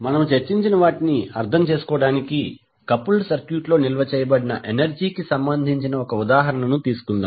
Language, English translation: Telugu, So let us now let us take one example to understand what we discussed related to energy stored in the coupled circuit